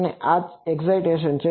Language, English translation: Gujarati, And this is the excitation